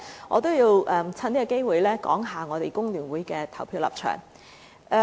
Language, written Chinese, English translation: Cantonese, 我亦想藉此機會談談工聯會議員的投票立場。, I would also like to take this opportunity to talk about the position of the Members of FTU in voting